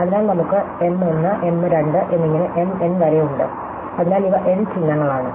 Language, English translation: Malayalam, So, we have M 1, M 2 up to M n, so these are n symbols